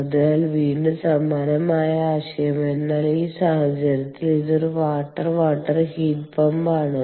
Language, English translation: Malayalam, so, again, similar concept, but in this case it is a water water heat pump